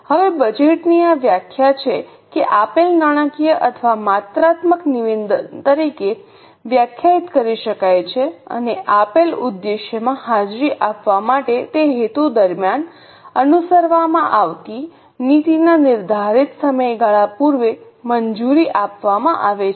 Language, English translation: Gujarati, Now this is a definition of budget that it can be defined as a financial or quantitative statement prepared and approved prior to a defined period of time or policy to be pursued during that purpose for attaining a given objective